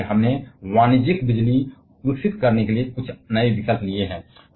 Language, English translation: Hindi, And therefore, we have taken for some newer option to develop a commercial electricity